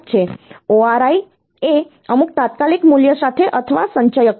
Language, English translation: Gujarati, ORI is or accumulator with some immediate value